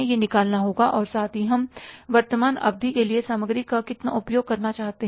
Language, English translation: Hindi, Plus how much we want to use the material for the current period